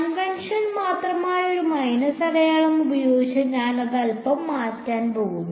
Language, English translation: Malayalam, I am going to change that just a little bit by a minus sign that is just the convention